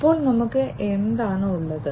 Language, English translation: Malayalam, So, we have what